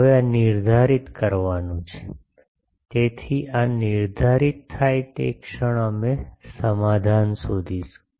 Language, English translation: Gujarati, Now this is to be determined, so the moment this gets determined we will be finding the solution